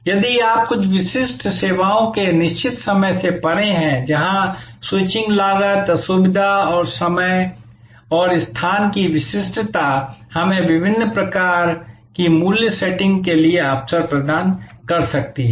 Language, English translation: Hindi, If you go beyond there are certain times of services, where the switching cost, inconvenience and time and locations specificity can give us opportunities for different types of price setting